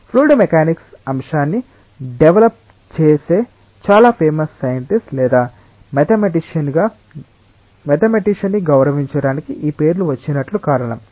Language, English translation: Telugu, And the reason is like this names have come up to honour the very famous scientist or mathematician who develop the subject of fluid mechanics